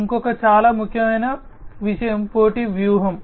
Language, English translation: Telugu, And also another very important thing is the competitive strategy